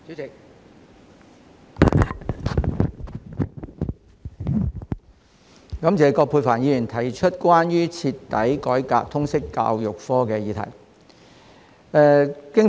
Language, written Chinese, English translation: Cantonese, 主席，感謝葛珮帆議員提出"徹底改革通識教育科"議案。, President I would like to thank Ms Elizabeth QUAT for moving the motion on Thoroughly reforming the subject of Liberal Studies